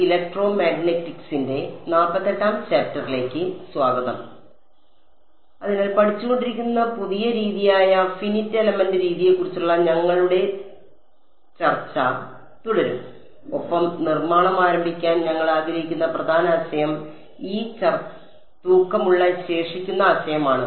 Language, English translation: Malayalam, \ So, we will continue our discussion of the Finite Element Method which is the new method which have been studying and the main idea that we want to sort of start building on is this weighted residual idea right